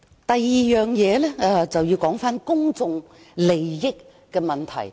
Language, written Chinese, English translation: Cantonese, 第二，我想討論公眾利益的問題。, Second I want to discuss the issue of public interest